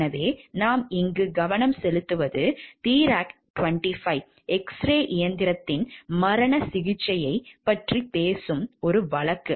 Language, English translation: Tamil, So, what we will focus over here is a case which talks of the lethal treatment, the Therac 25 X ray machine